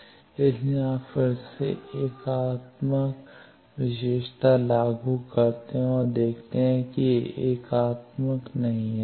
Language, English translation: Hindi, So, you again apply unitary property and see it is not unitary